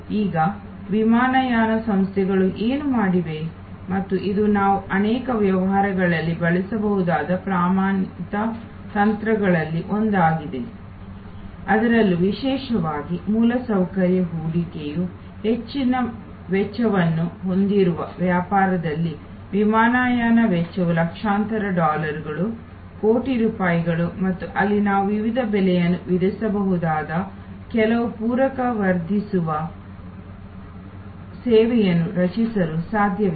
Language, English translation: Kannada, Now, what the airlines have done therefore, and this is one of the standard techniques we can use in many businesses, particularly in those business where the infrastructure investment is a high cost, like an airline costs in millions of dollars, crores of rupees and where it is possible to create some supplementary enhancing services by which we can charge different prices